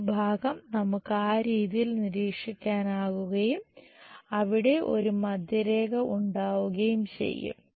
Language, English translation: Malayalam, This part we will observe it in that way and there will be a middle line